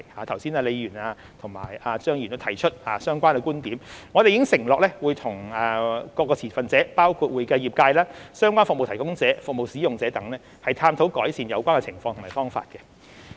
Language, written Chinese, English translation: Cantonese, 剛才李議員和張議員亦有提出相關的觀點，我們已承諾會與各持份者，包括會計業界、相關服務提供者、服務使用者等，探討改善有關情況的方法。, Ms LEE and Mr CHEUNG also raised their views on such issues just now . We have undertaken to explore ways to remedy the situation with various stakeholders including the accounting profession relevant service providers and service users